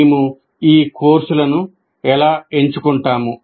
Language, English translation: Telugu, So how do we choose these courses